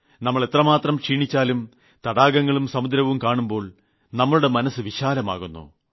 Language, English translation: Malayalam, No matter how tired we are; when we see a large lake or an ocean, how magnificent that sight is